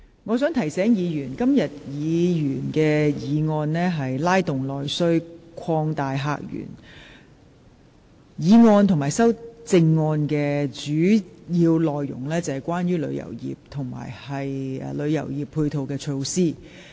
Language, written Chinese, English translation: Cantonese, 我想提醒議員，這項議員議案的議題是"拉動內需擴大客源"，議案及修正案的主要內容是關於旅遊業及其配套措施。, I would like to remind Members that the title of this Members motion is Stimulating internal demand and opening up new visitor sources . The main contents of this motion and the amendments are about the tourism industry and its supporting facilities